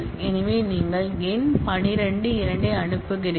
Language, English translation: Tamil, So, you send numeric 12, 2